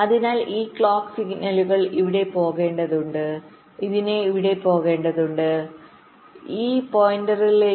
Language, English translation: Malayalam, so this clock signal will need to go here, it need to go here, need to go here to all this points